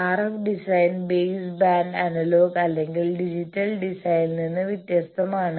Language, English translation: Malayalam, RF design differs from the base band analogue or digital design